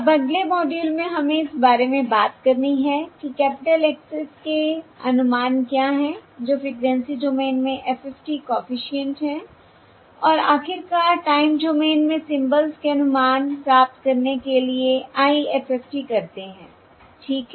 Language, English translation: Hindi, okay, Now in the next module we have to talk about what are the estimates of the capital Xs, that is, the, or, the um, the um, the, the FFT coefficients in the frequency domain and finally perform the IFFT to get the estimates of the symbols in the time domain